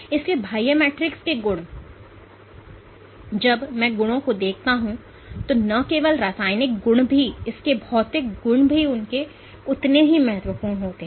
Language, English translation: Hindi, So, properties of the extracellular matrix, when I see properties not only the chemical properties also its physical properties are equally important